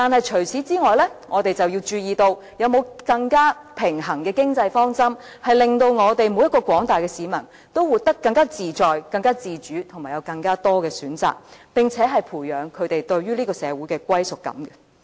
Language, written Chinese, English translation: Cantonese, 除此之外，我們還要注意，是否有更平衡的經濟方針，令廣大市民人人都活得更自在、自主及享有更多選擇，並且培養他們對於這個社會的歸屬感？, Besides we must also check whether there can be a more equitable economic strategy that can enable the masses to live more happily and freely and to cultivate a sense of belonging to this society